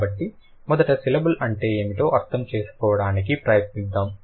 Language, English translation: Telugu, So, first let's try to understand what is a syllable